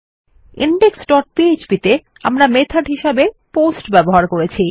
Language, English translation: Bengali, In index dot php, we used the method as POST